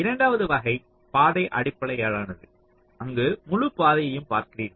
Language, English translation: Tamil, the second type is path based, where you look at entire path and you try to optimize the timing of the path